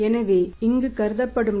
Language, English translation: Tamil, So, the profit assumed here is that is 102